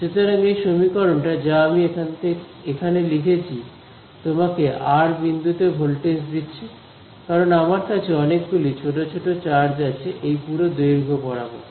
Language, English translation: Bengali, So, this equation that I have written here this gives you the voltage at a point r because, I have lots of small small charges along this entire length over here